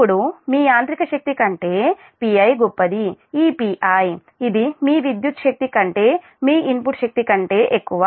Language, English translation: Telugu, this mechanical power, this p i, this is greater than your input power, is greater than this electrical power